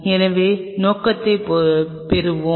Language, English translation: Tamil, So, let us get the purpose